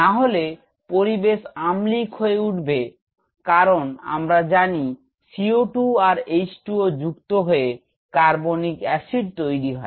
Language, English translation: Bengali, Otherwise this will make the environment acidic because CO2 plus H2O we know that it will perform carbonic acid